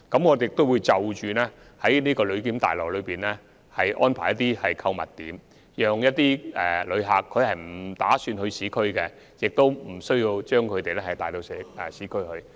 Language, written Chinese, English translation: Cantonese, 我們亦會在旅檢大樓安排一些購物點，令一些不打算前往市區的旅客不會被帶到市區。, Furthermore we will provide some shopping facilities at the Passenger Clearance Building so that visitors who do not intend to go to the urban area will not be taken there